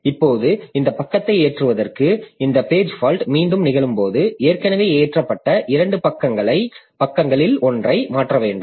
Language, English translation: Tamil, Now when this page fault occurs, again to load this page, I have to replace one of the two pages that I have already loaded